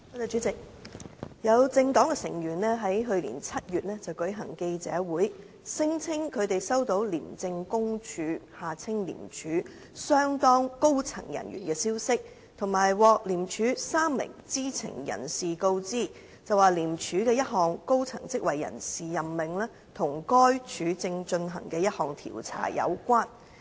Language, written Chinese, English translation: Cantonese, 主席，有政黨成員於去年7月舉行記者會，聲稱他們收到廉政公署相當高層人員的消息及獲廉署3名知情人士告知，廉署的一項高層職位人事任命與該署正進行的一項調查有關。, President some members of a political party held a press conference in July last year claiming that they had received information from some very senior personnel of the Independent Commission Against Corruption ICAC and they had been informed by three insiders of ICAC that the personnel appointment for a senior post in ICAC had something to do with an investigation being conducted by ICAC at that time